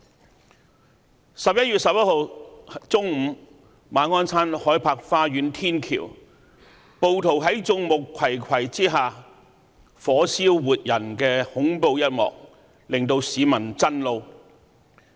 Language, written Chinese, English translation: Cantonese, 11月11日中午，暴徒在眾目睽睽之下，在馬鞍山海柏花園天橋火燒活人的恐怖一幕，令市民震怒。, At noon on 11 November people were shocked and angered by a horrific scene unfolded in public where rioters blatantly set a man on fire on the footbridge at Bayshore Towers Ma On Shan